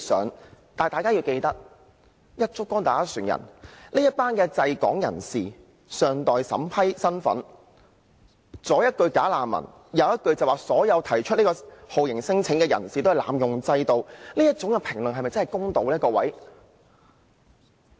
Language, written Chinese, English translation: Cantonese, 然而，大家要記得這群滯港人士的身份尚待審批，若"一竹篙打一船人"，左一句"假難民"，右一句所有提出酷刑聲請的人士都是濫用制度，哪麼各位，這種評論是否真的公道呢？, Nevertheless we should bear in mind that these people are awaiting the vetting and approval of their refugee status claims . If we adopt this one - size - fits - all theory by accusing them for being bogus refugees or accusing all torture claimants are abusing the system then my fellow Members will these be fair remarks?